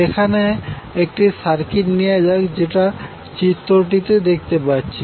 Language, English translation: Bengali, Let us see there is one circuit as we see in the figure